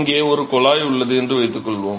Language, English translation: Tamil, So, suppose here is a tube